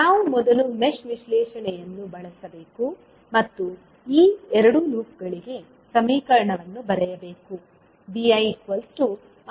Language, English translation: Kannada, We have to first use the mesh analysis and write the equation for these 2 loops